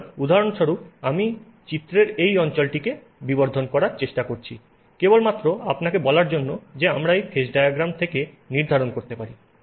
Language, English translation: Bengali, So, for example, I'll sort of magnify this region of the phase diagram just to tell you what is it that we can determine from this phase diagram